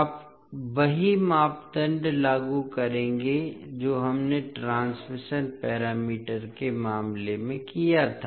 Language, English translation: Hindi, You will apply the same criteria which we did in the case of transmission parameters